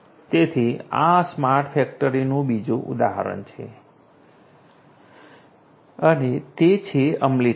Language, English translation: Gujarati, So, this is another example of smart factory and it is implementation